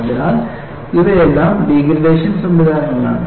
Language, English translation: Malayalam, So, these are all degradation mechanisms